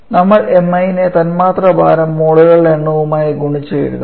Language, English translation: Malayalam, When we that mi can be written as the molecular weight into the number of moles for this